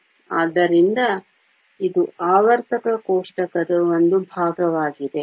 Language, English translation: Kannada, So, this is just a portion of the periodic table